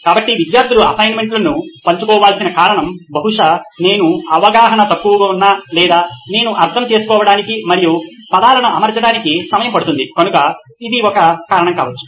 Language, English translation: Telugu, So one reason why students need to share notes is probably because I am a slow writer or my understanding or it takes time for me to comprehend and put it down to words, so that might be one reason